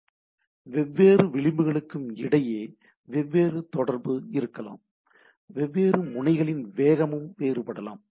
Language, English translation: Tamil, So, different communication between the different edge and different speed of different node may be different